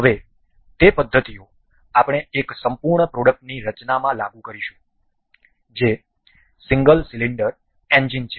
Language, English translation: Gujarati, Now, we will apply those methods in designing one full product that is single cylinder engine